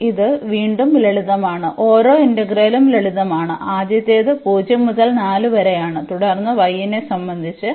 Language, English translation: Malayalam, So, again this is a simple each of the integral is simplest the first one is 0 to 4 and then with respect to y